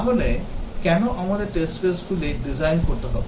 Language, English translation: Bengali, So, why do we have to design test cases